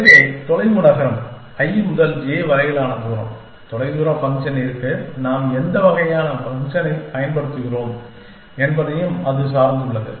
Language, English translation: Tamil, So, distance city distance from i to j, what kind of a function are we using for distance function, much